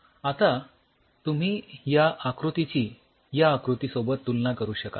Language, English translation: Marathi, Now, could you compare this picture versus this picture